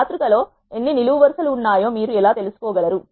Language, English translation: Telugu, How can you know how many rows are there in the matrix